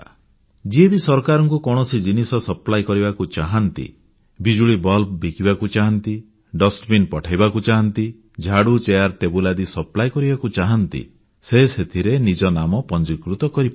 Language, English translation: Odia, Whoever wants to supply any item to the government, small things such as electric bulbs, dustbins, brooms, chairs and tables, they can register themselves